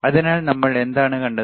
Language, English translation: Malayalam, So, what we have seen